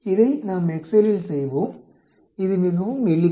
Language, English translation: Tamil, Let us do it on excel, it is quite simple